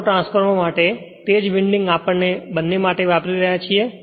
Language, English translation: Gujarati, For Autotransformer, the same winding we are using for both right